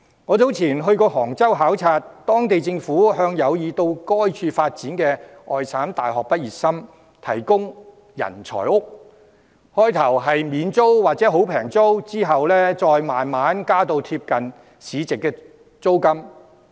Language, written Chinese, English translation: Cantonese, 我早前到過杭州考察，當地政府向有意到該處發展的外省大學畢業生提供"人才屋"，開始時是免租金或低租金，之後再慢慢調升至貼近市值租金水平。, I have been to Hangzhou for inspection recently . The local government provides university graduates from other provinces who intend to move there for development with housing for talents at low or no rent at the beginning before slowly raising the rent to a level close to the market rate later